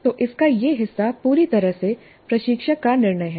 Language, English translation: Hindi, So this part of it is a totally instructor decision